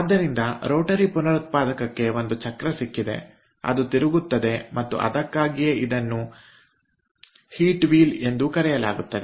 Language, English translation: Kannada, so rotary regenerator has got a wheel which rotates and thats why it is also called a heat wheel